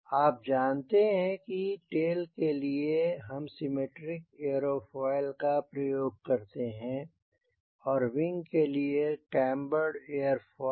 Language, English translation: Hindi, as you know, for tail we use symmetrical airfoil and it is desirable to use a cambered airfoil for wing